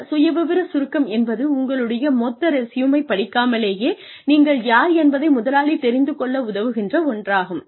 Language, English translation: Tamil, Profile summary is, what helps the employer see, who you are, without having to go through your entire resume